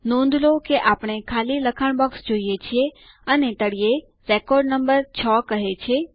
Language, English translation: Gujarati, Notice that we see empty text boxes and the record number at the bottom says 6